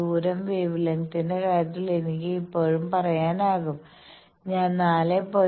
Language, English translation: Malayalam, Distance I can always tell that in terms of wavelength suppose I am moving a 4